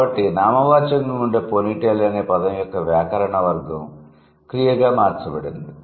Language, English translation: Telugu, So, the grammatical category of the word ponital which used to be a noun, it has become changed to a verb